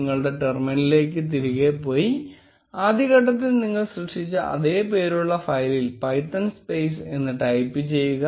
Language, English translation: Malayalam, Go back to your terminal and type python space the same file name which you created in the earliest step